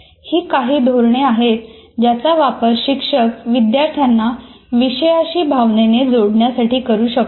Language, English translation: Marathi, There are some of the strategies teacher can use to facilitate students to emotionally connect with the content